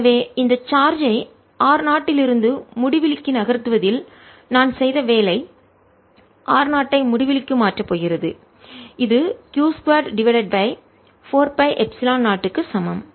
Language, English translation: Tamil, so work done by me in moving this charge from r naught to infinity is going to be r zero to infinity, which is equal to q square over four pi epsilon zero